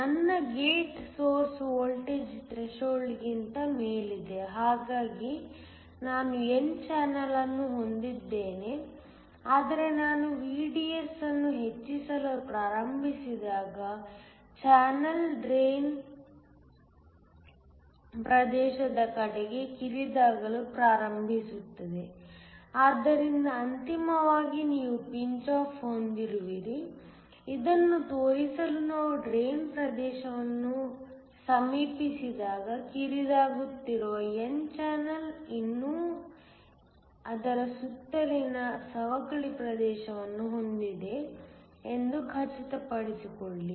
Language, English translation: Kannada, I have my gate source voltage above the threshold, so that I have n channel, but when I start increasing VDS the channel starts to narrow towards the drain region, so that ultimately you have pinch off to show this ensure the n channel that is narrowing as we approach the drain region still have a depletion region that is surrounding it